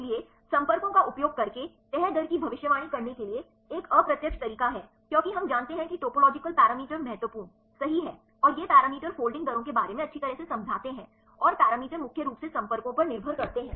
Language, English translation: Hindi, So, there is an indirect method to predict the folding rate using contacts because we know that topological parameters are important right and these parameters explain well about the folding rates and the parameters are mainly depending on contacts